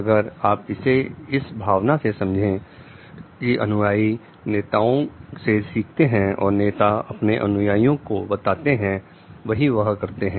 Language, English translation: Hindi, If you are taking it in the sense like the followers learns from the leaders and does what the leader tells the follower to do